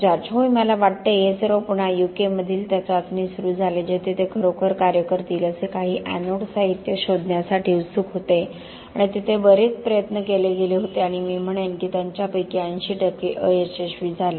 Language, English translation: Marathi, Yes I think, again it all started at that trial in the U K where they were desperate really to find some anode materials that will actually work and a lot that were tried there that and I would say that 80 percent of them had failed